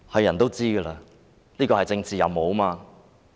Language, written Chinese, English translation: Cantonese, 眾所周知，這是政治任務。, We all know this is a political mission